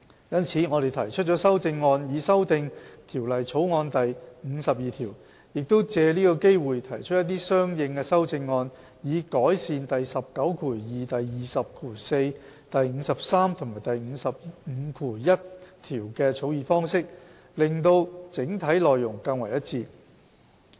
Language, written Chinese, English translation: Cantonese, 因此，我們提出了修正案，以修訂《條例草案》第52條，亦藉此機會提出一些相應的修正案，以改善第192、204、53和551條的草擬方式，使整體內容更為一致。, For this reason we have proposed amendments to amend clause 52 of the Bill and taken this opportunity to propose some consequential amendments in order to refine the drafting of clauses 192 204 53 and 551 for better overall alignment